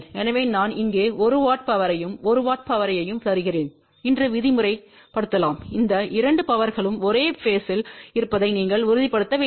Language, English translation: Tamil, So, let us say if I am giving a 1 watt power here and a 1 watt power here, you have to ensure that these 2 powers are exactly at the same phase